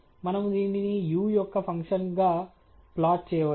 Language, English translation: Telugu, We can plot this as a function of u as well okay